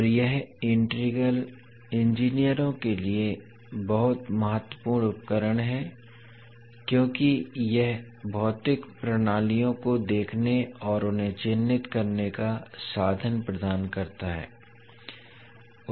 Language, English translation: Hindi, And this particular integral is very important tool for the engineers because it provides the means of viewing and characterising the physical systems